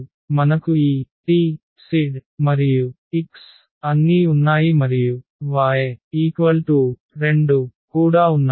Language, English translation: Telugu, So, we have this t, z and x all and also y here with mu 2